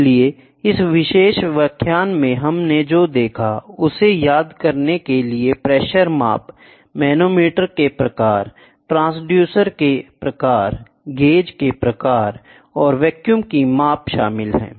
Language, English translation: Hindi, So, to recapitulate what we saw in this particular lecture is pressure measurement, type of manometers, type of transducers, types of gauges and measurement of vacuum